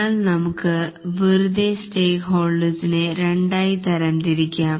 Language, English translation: Malayalam, But then we can roughly categorize the stakeholders into two categories